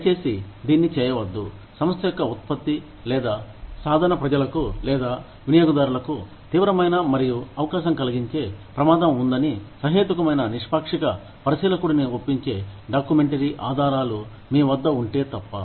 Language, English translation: Telugu, Please do not do this, unless, you have documentary evidence, that would convince a reasonable impartial observer, that the company's product or practice, poses a serious and likely danger, to the public or user